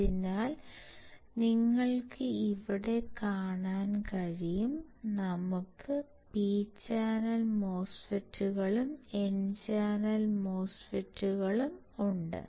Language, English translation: Malayalam, So, you can see here, we have P channel MOSFETs and N channel MOSFET